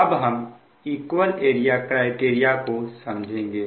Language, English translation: Hindi, next will come to the equal area criterion